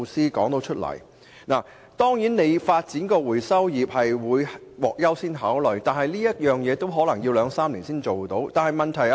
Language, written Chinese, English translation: Cantonese, 發展可以處理本地廢紙的回收業將獲優先考慮，但可能也需要兩三年時間。, The development of a recycling industry capable of processing locally - generated waste paper is accorded priority but it may still take two or three years